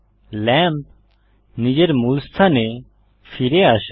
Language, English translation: Bengali, The lamp moves back to its original location